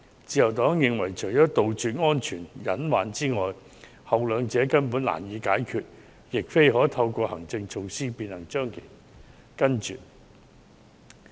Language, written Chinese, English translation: Cantonese, 自由黨認為，除了杜絕安全隱患外，後兩者根本難以解決，亦非透過行政措施所能杜絕。, The Liberal Party holds that except the safety hazards which may be eliminated the latter two problems can hardly be resolved nor can they be eradicated through administrative measures